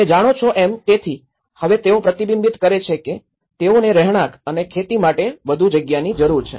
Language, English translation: Gujarati, You know because now they reflect that they need more space for this residential aspect as well and as well as the farming